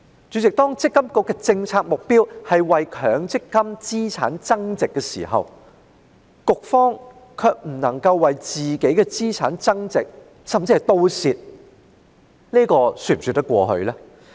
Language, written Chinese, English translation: Cantonese, "主席，積金局的政策目標是為強積金資產增值，卻不能夠為自己的資產增值，甚至弄得賠本，這是否說得通呢？, End of quote President does it make sense that MPFA has failed to increase the asset value of MPF or has even suffered losses when its policy objective is to increase the asset value of MPF?